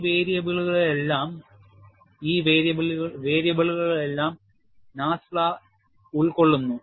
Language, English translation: Malayalam, And NASFLA encompasses all of these variables